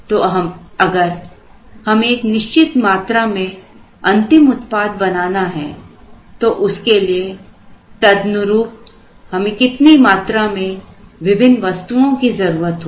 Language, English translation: Hindi, So, if the certain number of final products are to be made what is the corresponding number of the brought out items that we should have